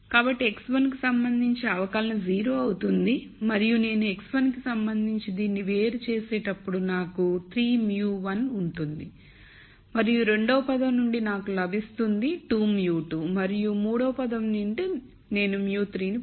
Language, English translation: Telugu, So, differential with respect to x 1 will become 0 and I will have 3 mu 1 x 1 when I di erentiate this with respect to x 1 I get 3 mu 1 and from the second term I will get minus 2 mu 2 and from the third term I will get mu 3